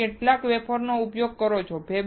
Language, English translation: Gujarati, How many wafers are you are using